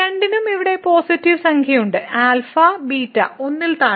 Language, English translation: Malayalam, So, both have the positive number here alpha and beta and less than 1